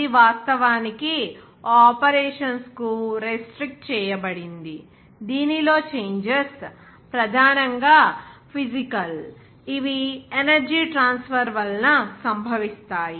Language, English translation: Telugu, It is actually restricted to those operations in which changes are primarily physical, that caused by the transfer of energy